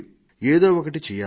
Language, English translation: Telugu, We should do this